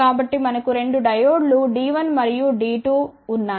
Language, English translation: Telugu, So, we have 2 diodes D 1 and D 2